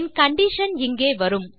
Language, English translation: Tamil, My condition is here